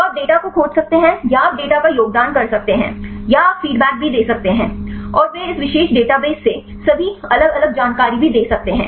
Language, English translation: Hindi, So, you can search the data or you can contribute the data or also you can give the feedbacks, and also they give all the different information right from this particular database